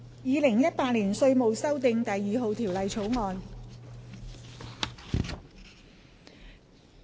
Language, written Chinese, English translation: Cantonese, 《2018年稅務條例草案》。, Inland Revenue Amendment No . 2 Bill 2018